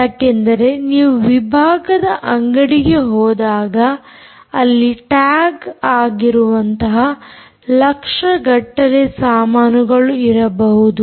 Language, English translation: Kannada, because you go into a departmental store there are millions and millions of times which are tagged